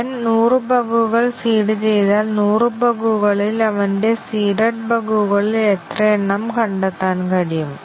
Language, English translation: Malayalam, If he seeded hundred bugs, out of the hundred bugs, how many of his seeded bugs could be discovered